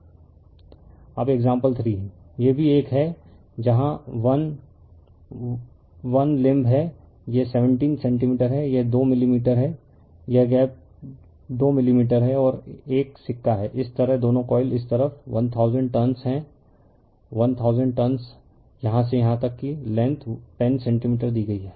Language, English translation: Hindi, Now example 3, this is also one, where here is 1, 1 limb is there this is 17 centimeters right, this is 2 millimeter, this gap is 2 millimeter and 1 coin is there it is own, like this there both the coils this side 1000 turns this side is 1000 turns, here it is from here to here the length is given 10 centimeter